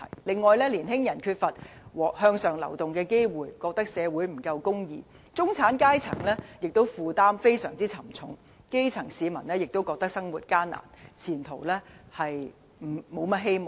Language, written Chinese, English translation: Cantonese, 另外，年輕人缺乏向上流動的機會，覺得社會不夠公義；中產階層的負擔亦非常沉重；基層市民亦覺得生活艱難，前途無甚希望。, Furthermore young people believe that society is not fair enough due to a lack of upward social mobility; the middle class have to shoulder heavy burden; the grass roots are leading a difficult life without much hope